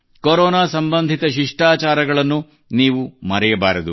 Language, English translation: Kannada, You must not forget the protocols related to Corona